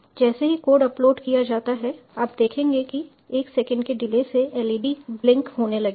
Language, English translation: Hindi, just as soon as the code is uploaded you will see the led starts blinking, with a delay of one second